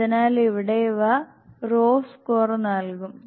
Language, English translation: Malayalam, So here these will raw score